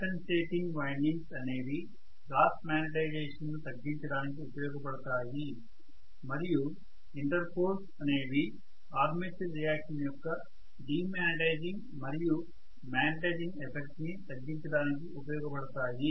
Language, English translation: Telugu, The compensating windings are meant for nullifying the cross magnetization, the inter poles are meant for nullifying the de magnetizing and magnetizing effect of armature reaction, right